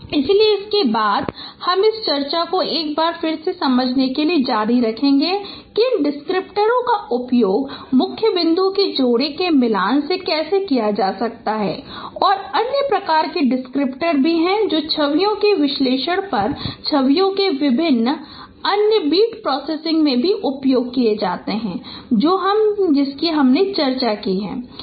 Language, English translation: Hindi, So next we will continue this discussion once again just to understand that how these descriptors could be used in matching pairs of key points and also there are other kinds of descriptors which are also useful in the in in in in various other big processing of images on analysis of images that we will also discuss so let us stop at this point for this particular lecture thank you very much